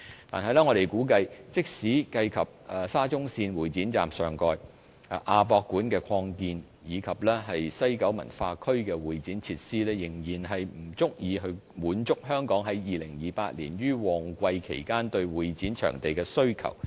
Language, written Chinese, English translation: Cantonese, 但是，我們估計，即使計及在沙中線會展站上蓋、亞博館擴建，以及西九文化區的會展設施，仍然不足以滿足香港在2028年於旺季期間對會展場地的需求。, However we estimate that even with the topside development above the Exhibition Station of the Shatin - to - Central Link the AsiaWorld - Expo expansion and the CE facilities in the WKCD the demand for CE venues in Hong Kong at peak periods in 2028 can still not be satisfied